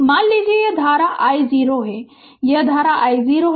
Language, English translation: Hindi, Suppose, this current is i 0 this current is i 0 right